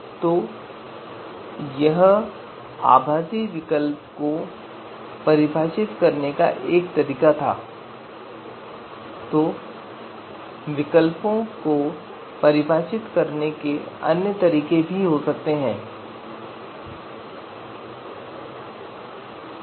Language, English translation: Hindi, So that was you know one way to you know to actually define the virtual alternative then there could be other ways to define the these alternatives